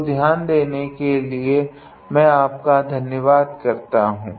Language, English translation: Hindi, So, I thank you for your attention